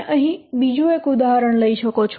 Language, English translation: Gujarati, We can take another example here